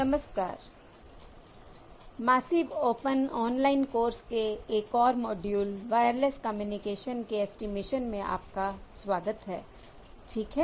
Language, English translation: Hindi, Hello, welcome to another module in this massive open online course on estimation for Wireless Communications